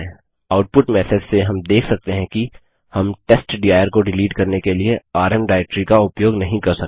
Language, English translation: Hindi, From the output message we can see that we can not use the rm directory to delete testdir